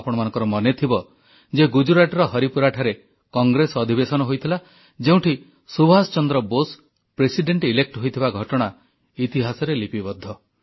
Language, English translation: Odia, You may remember that in the Haripura Congress Session in Gujarat, Subhash Chandra Bose being elected as President is recorded in history